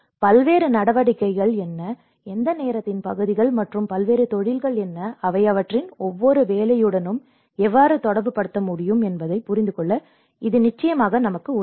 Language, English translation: Tamil, And that will definitely help us to understand what are the various activities and which segments of time and what are the various professions, how they can correlate with each of their work